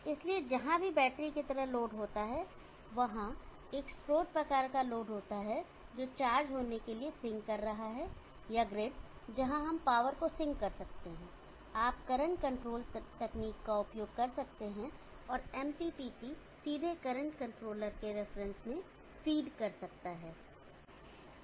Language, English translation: Hindi, So wherever there is a load like the battery, wherever there is a source type of load which is sinking to the charger or the grid where we can sink power, you can use current controlled technique and MPPT can directly feed into the reference of the current controller